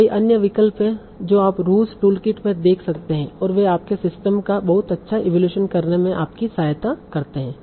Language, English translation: Hindi, So there are many other options that you can see in the Rooge Toolkit and they help you in getting a very good evaluation of your system